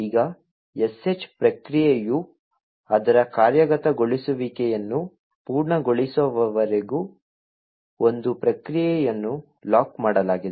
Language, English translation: Kannada, Now the one process is locked until the sh process completes its execution